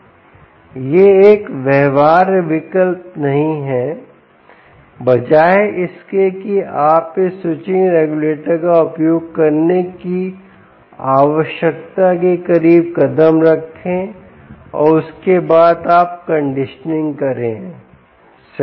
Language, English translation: Hindi, instead, step it down to a reasonably close to what you need using this switching regulator and after that you do the conditioning right